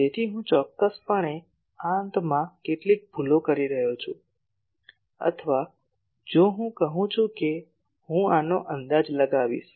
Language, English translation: Gujarati, So, I am definitely committing some errors at this ends or if I say that I will approximate it by this one